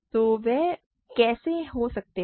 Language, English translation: Hindi, So, how can what can they be